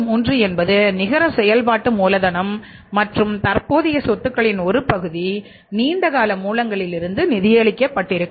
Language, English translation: Tamil, 33 is the networking capital and that part of the current assets is being funded from the long term sources